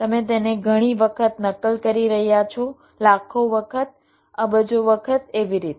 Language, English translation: Gujarati, you are replicating it many times, million number of times, billion number of times like that